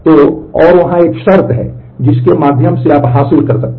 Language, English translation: Hindi, So, and there is a there is a condition through which you can achieve that